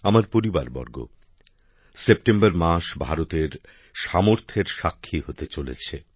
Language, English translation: Bengali, My family members, the month of September is going to be witness to the potential of India